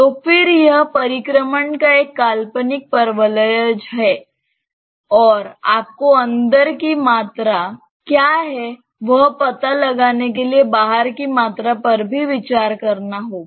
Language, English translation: Hindi, So, then it is an imaginary paraboloid of revolution even outside that you have to consider to find out what is the volume that is there inside